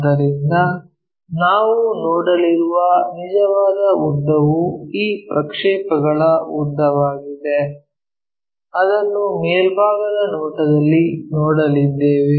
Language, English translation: Kannada, So, the actual length what we are going to see is this projected length, that is we are going to see it in a top view